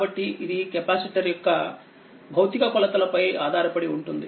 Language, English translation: Telugu, So, it depends on the physical dimension of the capacitor